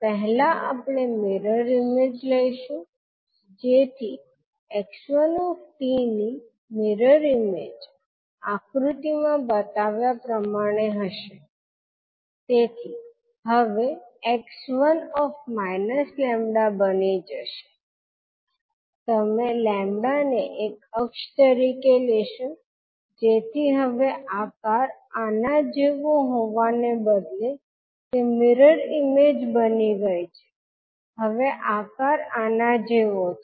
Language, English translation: Gujarati, So what we will do we will first take the mirror image so the mirror image of x one t will be like as shown in the figure, so now it will become x minus lambda you will take the lambda as an axis so now instead of having shape like this it has become the mirror image now the shape is like this